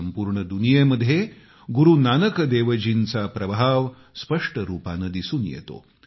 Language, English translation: Marathi, The world over, the influence of Guru Nanak Dev ji is distinctly visible